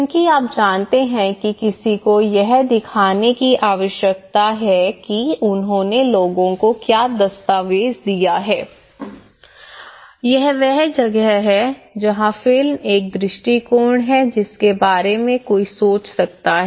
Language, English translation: Hindi, Because you know one need to showcase that what they have documented to the people this is where a film is one approach one can think of